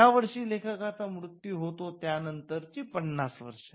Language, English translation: Marathi, So, the year on which the author died plus 50 years